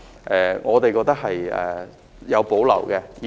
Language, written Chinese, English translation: Cantonese, 對此我們是有保留的。, And so we have reservations about this